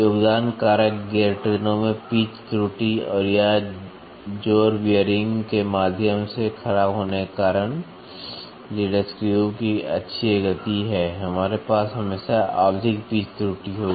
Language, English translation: Hindi, The contributing factors are pitch error in the gear trains and or axial movement of the lead screw due to the worn out through the thrust bearings, we always will have periodic pitch error